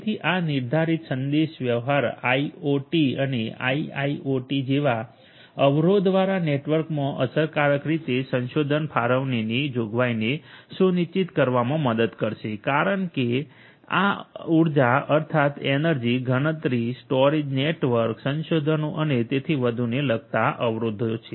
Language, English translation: Gujarati, So, this deterministic communication will help in ensuring provisioning of resource allocation efficiently in constraint networks such as IoT and IIoT constraint because these are constraint with respect to energy, constraint with respect to computation storage network resources and so on